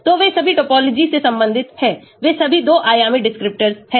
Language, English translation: Hindi, so they are all topology related, they are all 2 dimensional descriptors